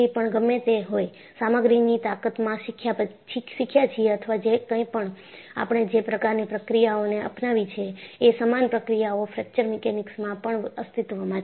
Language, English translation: Gujarati, Whatever, we have learned in strength of materials or whatever, the kind of procedures we adopted, similar procedures exist in the Fracture Mechanics also